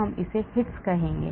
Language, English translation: Hindi, Hits we will call it